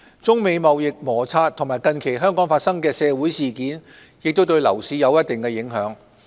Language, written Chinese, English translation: Cantonese, 中美貿易摩擦和近期香港發生的社會事件亦對樓市有一定影響。, China - United States trade frictions and recent social events in Hong Kong have also exerted certain impact on the property market